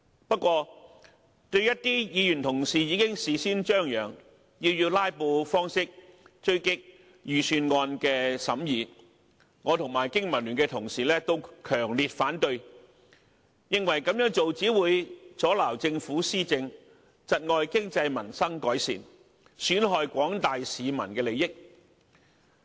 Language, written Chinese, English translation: Cantonese, 不過，對於一些議員同事已經事先張揚，要以"拉布"的方式追擊預算案的審議，我及經民聯的同事都強烈反對，認為這樣做只會阻撓政府施政，窒礙經濟民生改善，損害廣大市民的利益。, However my BPA colleagues and I strongly disapprove of the pre - advertised filibuster of some Members who want to attack the Budget as we consider that it will only obstruct the governance of the Government hamper the improvement of the economy and peoples livelihood and undermine the interest of the general public